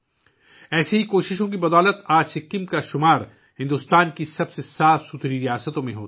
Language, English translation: Urdu, Due to such efforts, today Sikkim is counted among the cleanest states of India